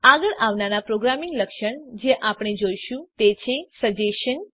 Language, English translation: Gujarati, The next programming feature we will look at is suggestion